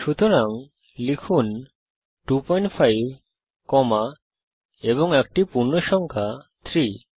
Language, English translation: Bengali, So type 2.5 comma and an integer 3